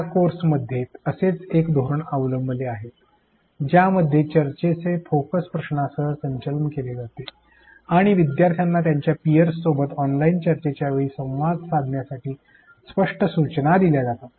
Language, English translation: Marathi, One such strategy which is followed in this course involves steering of discussion with the focus question and providing clear instructions to the learners to interact with their peers interact with the learners frequently during online discussions